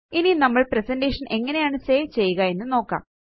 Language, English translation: Malayalam, Now lets learn how to save the presentation